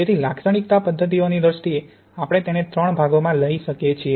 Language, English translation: Gujarati, So in terms of characterisation methods we can take it in three parts